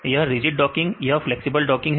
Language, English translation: Hindi, Its rigid docking and a flexible docking